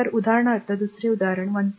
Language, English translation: Marathi, So, example another example say 1